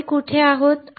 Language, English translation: Marathi, So, where are we